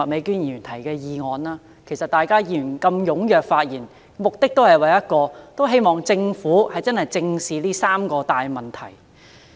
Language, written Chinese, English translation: Cantonese, 議員如此踴躍發言，目的只有一個，便是希望政府能認真正視這三大問題。, In speaking so enthusiastically Members have only one purpose . They hope the Government can squarely address these three major issues in a serious manner